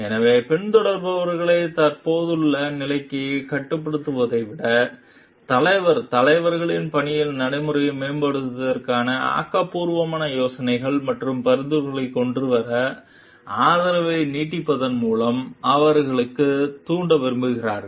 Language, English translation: Tamil, So, rather than restricting the followers to the existing status quo, leader, leaders should like stimulate them by extending support to come up with creative ideas and suggestions to improve the work practices